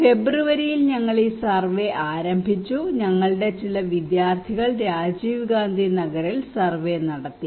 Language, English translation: Malayalam, And we started this survey in February and some of my students some of our students are conducting surveys in Rajiv Gandhi Nagar okay